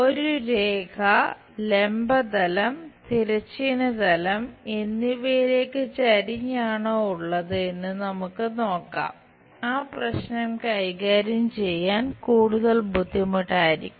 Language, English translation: Malayalam, Let us look at if a line is inclined to both vertical plane and horizontal plane, that will be more difficult problem to handle